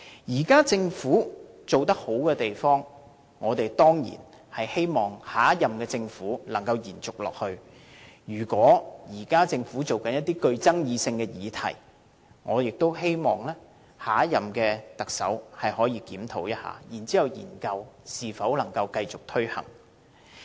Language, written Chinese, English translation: Cantonese, 現屆政府做得好的地方，我們當然希望下任政府能夠延續下去；如果現屆政府正在研究爭議性議題，我也希望下一任特首可以檢討一下，再研究能否繼續推行。, For areas where the current Government has performed well we certainly expect the next Government to keep them up; regarding the controversial issues considered by the incumbent Government I also wish that the next Chief Executive can review and study if those issues should go on